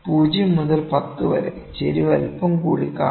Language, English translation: Malayalam, For 0 to 10, the slope would be seen a little higher, ok